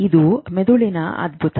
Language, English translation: Kannada, This is the wonder of the brain